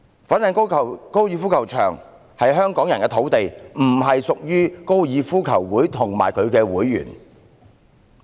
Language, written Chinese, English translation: Cantonese, 粉嶺高爾夫球場是香港人的土地，並不屬於香港哥爾夫球會及其會員。, FGC is the land of Hong Kong people . It does not belong to the Hong Kong Golf Club or its members